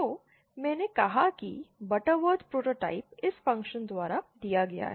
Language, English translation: Hindi, So, I said that the Butterworth autotype is given by this function